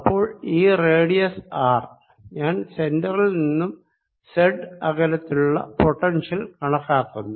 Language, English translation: Malayalam, so this radius is r and i am calculating the potential at a distance z from the centre